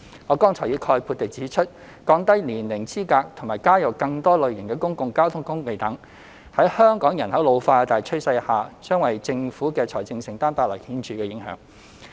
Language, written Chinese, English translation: Cantonese, 我剛才已概括地指出，降低年齡資格和加入更多類型的公共交通工具等，在香港人口老化的大趨勢下，將為政府的財政承擔帶來顯著影響。, As I have briefly mentioned earlier in this reply the lowering of the age eligibility and the addition of more public transport modes will have a significant impact on the financial commitment of the Government in the face of the general trend of an ageing population in Hong Kong